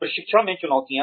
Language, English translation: Hindi, Challenges in training